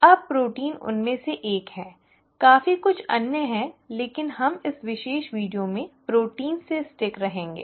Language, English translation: Hindi, Now protein is one of them, there are quite a few others but we will stick to proteins in this particular video